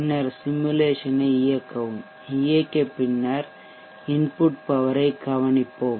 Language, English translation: Tamil, And then run the simulation, and then after running the simulation let us observe the input power